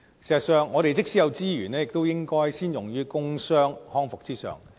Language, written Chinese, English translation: Cantonese, 事實上，我們即使有資源，亦應該先用於工傷康復之上。, In fact available resources should be first invested in work - injury rehabilitation